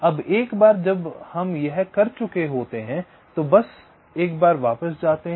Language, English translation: Hindi, ok, now, once we have done this, next, ok, just going back once